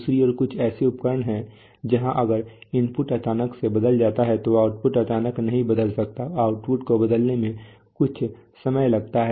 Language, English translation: Hindi, On the other hand there are some kinds of instruments where the, where if the input changes suddenly the output cannot change suddenly they output take some time to rise